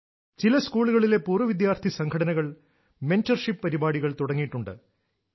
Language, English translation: Malayalam, The old student associations of certain schools have started mentorship programmes